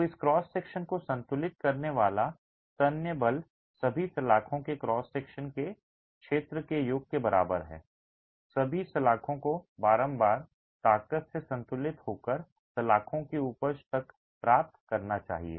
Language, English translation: Hindi, So, the tensile force that this cross section will equilibrate is equal to the sum of the area of cross section of all the bars, all the bars should have yielded into the yield strength of the bars, equilibrated by the compressive strength